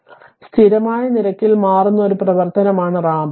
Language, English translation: Malayalam, So, a ramp is a function that changes at a constant rate right